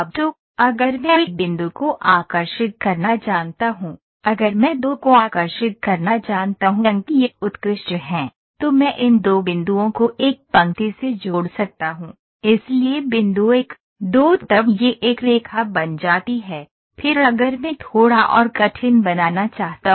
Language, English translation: Hindi, So, if I know to draw a point good, if I know to draw 2 points it is excellent, then I can joint these 2 points by a line, so point 1, 2 then it becomes a line, then if I want to make a little more difficult